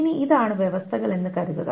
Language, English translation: Malayalam, Now suppose these are the conditions